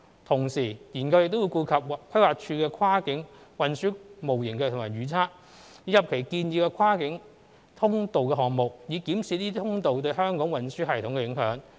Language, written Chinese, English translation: Cantonese, 同時，研究亦會顧及規劃署的跨界運輸模型及預測，以及其建議的跨境通道項目，以檢視這些通道對香港運輸系統的影響。, Meanwhile the study will also take into account the Planning Departments Cross - Boundary Transport Model And Forecasts and its proposed cross - boundary link projects so as to examine the implications of such links on the transport system of Hong Kong